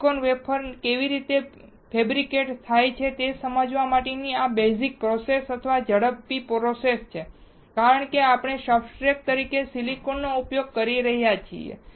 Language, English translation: Gujarati, This is the basic process or quick process to understand how the silicon wafer is fabricated because we are using silicon as a substrate